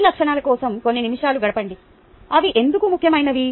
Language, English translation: Telugu, let me spend a couple of minutes on these attributes, why they are important